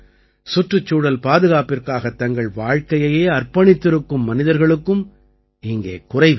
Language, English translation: Tamil, There is no dearth of people in the country who spend a lifetime in the protection of the environment